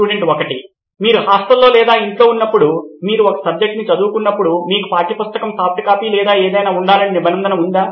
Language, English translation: Telugu, When you are at hostel or at home while you preparing a subject, is there a provision for you to have a textbook, soft copy or anything